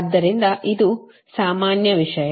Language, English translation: Kannada, so this is that general thing